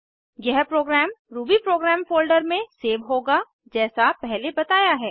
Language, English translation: Hindi, This program will be saved in rubyprogram folder as mentioned earlier